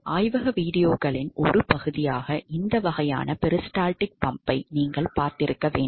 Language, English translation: Tamil, You must have seen the one of this kind of peristaltic pump where as part of the lab videos